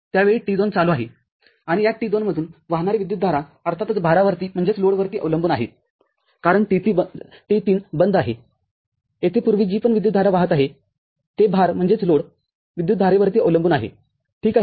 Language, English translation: Marathi, T2 at that time is on, and the current that is flowing pastd this T2 depends of course on the load because T3 is off whatever current is flowing past here, it depends on the load current, ok